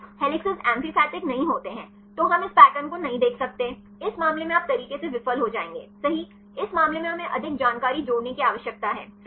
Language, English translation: Hindi, The helices are not amphipathic then we cannot see this pattern in this case you can the methods will fail right in this case we need to add more information right